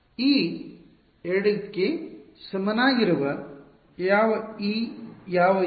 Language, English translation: Kannada, e equal to 2 numbered which e which Us